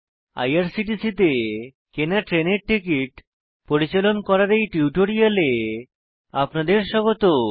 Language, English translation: Bengali, Welcome to this spoken tutorial on Managing train tickets bought at IRCTC